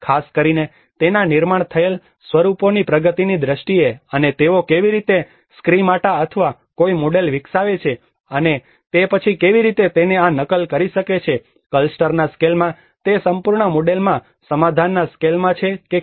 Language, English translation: Gujarati, Especially in terms of the advancements of its built forms, and how they develop a schemata, or a model, and then how they can replicate it whether in a scale of a cluster whether in a scale of a settlement in that whole model